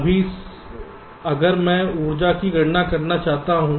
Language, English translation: Hindi, lets say t: i right now, if i want to calculate the energy